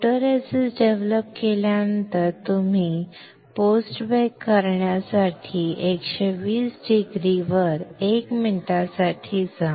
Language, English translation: Marathi, After developing photoresist you go for post bake at 120 degree for 1 minute